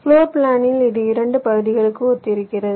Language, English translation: Tamil, in the floor plan this corresponds to two parts